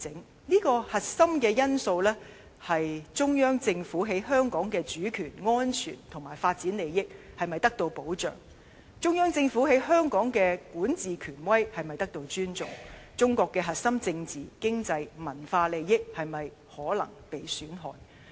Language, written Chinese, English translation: Cantonese, 當中的核心因素，是中央政府於香港的主權安全及發展利益是否得到保障，中央政府於香港的管治權威是否得到尊重，中國核心政治、經濟、文化利益是否可能被損害。, The core factors in this respect are whether the Central Governments sovereignty and developmental interests in Hong Kong are protected whether the Central Governments jurisdiction in Hong Kong is respected and whether Chinas essential interests in politics economy and culture are exposed to any risks